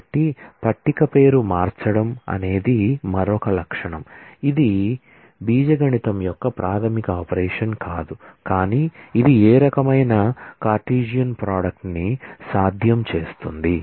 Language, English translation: Telugu, So, renaming a table is another feature which is provided of course, it is not a fundamental operation of the algebra, but this is what makes the any kind of Cartesian product possible